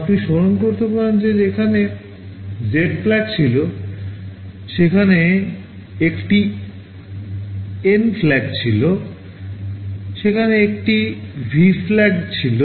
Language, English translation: Bengali, You recall there were Z flag, there were a N flag, there was a V flag and so on